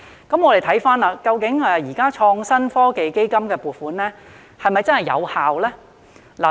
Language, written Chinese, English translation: Cantonese, 那麼現時創新及科技基金的撥款是否真的有效呢？, Then is the current funding from the Innovation and Technology Fund ITF really effective?